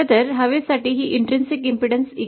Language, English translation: Marathi, In fact for air this intrinsic impedance comes out to be 377 ohm